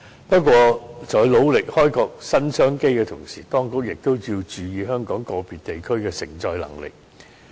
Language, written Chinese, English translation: Cantonese, 不過，在努力開闢新商機之餘，當局亦應注意香港個別地區的承載能力。, However while striving to explore new business opportunities the authorities should also pay attention to the capacity of individual districts of Hong Kong